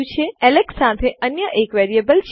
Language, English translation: Gujarati, We have another variable here with Alex